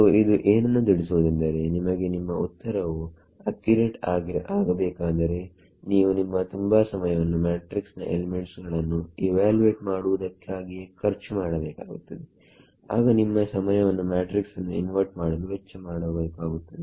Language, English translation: Kannada, So, that tells you that you know if you wanted a very accurate answer you would have to spend a lot of time in evaluating the matrix itself, then you would spend time in inverting that matrix